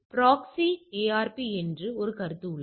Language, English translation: Tamil, There is a concept called proxy ARP